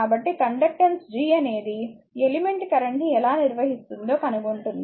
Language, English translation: Telugu, So, conductance G is a measure of how well an element will conduct your current